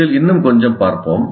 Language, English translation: Tamil, Let us look at a little more of this